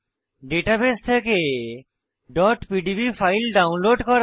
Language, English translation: Bengali, * Download .pdb files from the database